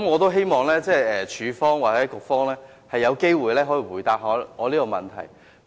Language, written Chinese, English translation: Cantonese, 我希望署方或局方有機會回答我這個問題。, I hope DH or the Bureau will have the opportunity to answer my question